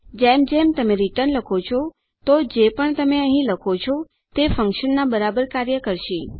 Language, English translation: Gujarati, As long as you say return whatever you say here the function will equal that